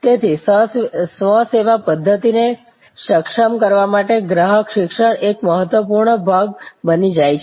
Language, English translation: Gujarati, So, customer education becomes an important part to enable self service technology